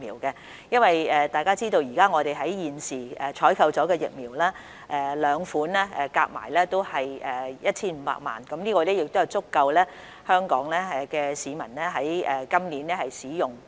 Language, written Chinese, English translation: Cantonese, 大家都知道，我們現時採購的兩款疫苗總數為 1,500 萬劑，這數量足夠香港市民今年使用。, As Members know the total quantity of the two vaccines we have procured now is 15 million doses which are sufficient for use by Hong Kong people this year